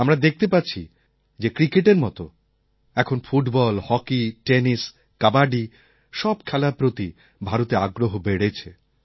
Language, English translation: Bengali, As with Cricket, there's now increasing interest in Football, Hockey, Tennis, and Kabaddi